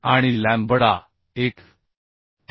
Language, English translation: Marathi, 49 and lambda is 1